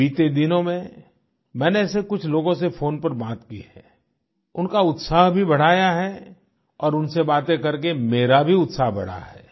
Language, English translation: Hindi, During the course of the last few days, I spoke to a few such people over the phone, boosting their zeal, in turn raising my own enthusiasm too